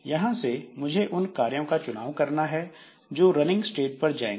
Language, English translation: Hindi, Now from here I have to select some job that will be going to the running state